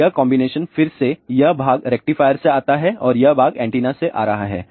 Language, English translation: Hindi, So, this combination again part comes from rectifier and this part is coming from antenna